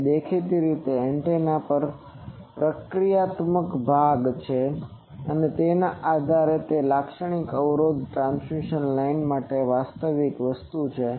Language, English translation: Gujarati, So, depending on the obviously the antenna has a reactive part, so characteristic impedance is a real thing for transmission line